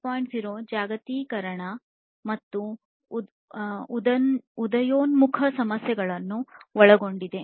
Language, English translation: Kannada, 0 incorporates globalization and emerging issues as well